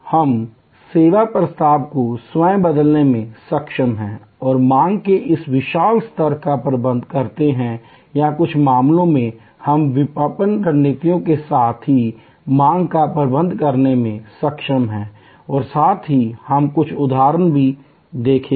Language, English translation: Hindi, We are able to transform the service proposition itself and there by manage this huge level of demand or in a some cases, we are able to manage the demand itself with marketing strategies, also we will look few examples